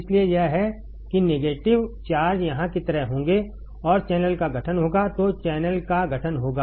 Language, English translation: Hindi, So, it is why negative charges would be like here and formation of channel would be there formation of channel would be there ok